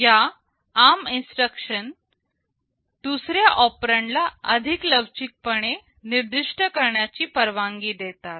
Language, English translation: Marathi, This ARM instruction allows the second operand to be specified in more flexible ways